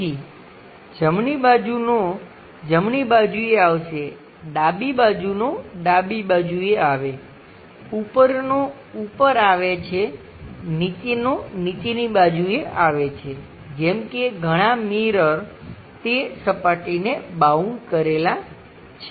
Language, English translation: Gujarati, So, the right ones will come on right side; the left one comes at left side; the top one comes at top side; the bottom one comes at bottom side is is more like many mirrors are bounding that surface